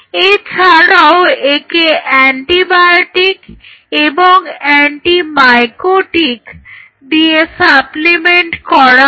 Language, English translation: Bengali, This is supplemented by antibiotic and anti mycotic